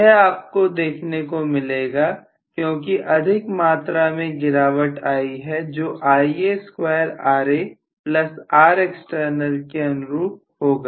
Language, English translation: Hindi, This is what you would see because more amount has been dropped off in the form of Ia square Ra plus Rexternal drop